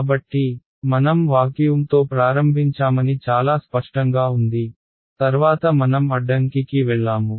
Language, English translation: Telugu, So, far it is clear I started with vacuum, then I went to an obstacle